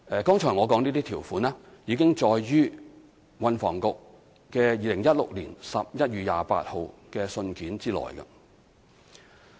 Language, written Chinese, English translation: Cantonese, 剛才我說的這些條款已載於運輸及房屋局2016年11月28日的信件內。, The provisions that I just cited are already contained in the letter of the Transport and Housing Bureau dated 28 November 2016